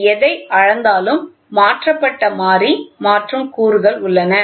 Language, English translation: Tamil, Whatever it measures, it gets converted variable conversion elements are there